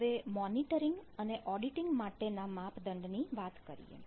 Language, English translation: Gujarati, so the metric for monitoring and auditing